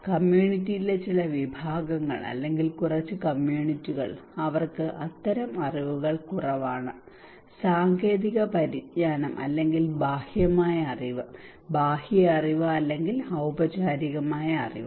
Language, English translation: Malayalam, Some sections of the community or few communities they have less this kind of knowledge technical knowledge or outside knowledge or external knowledge or formal knowledge